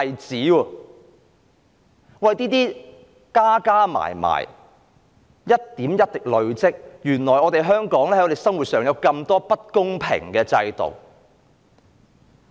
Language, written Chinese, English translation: Cantonese, 這些問題一點一滴地累積。原來，我們香港有這麼多不公平的制度。, Questions like these gradually accumulate and we now realize that there is a lot of unfairness in Hong Kongs system